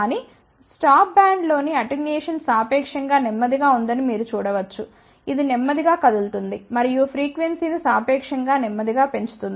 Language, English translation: Telugu, But you can see that the attenuation in the stop band it is relatively slow, it is moving slowly and attenuating the frequencies relatively slowly